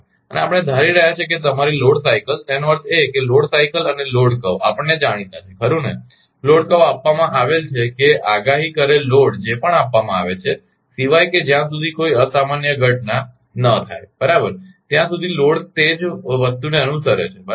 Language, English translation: Gujarati, And we are assuming that your load cycle; that means, load load cycle and load curve is known to us right load curve is given that forecasted load what so, ever is given unless and until some unusual event happened right then loads will follow the same thing right